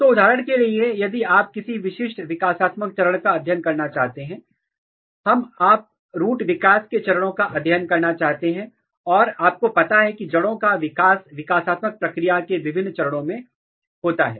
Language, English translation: Hindi, So, for example, if you want to study a developmental stage at a particular, let us assume that you want to study root developmental stage and you know that root development occurs through different stages of the development